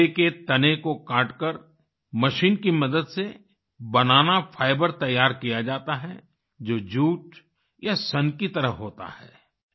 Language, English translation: Hindi, Banana fibre is prepared by cutting the stem of a banana with the help of a machine, the fibre is like jute or flax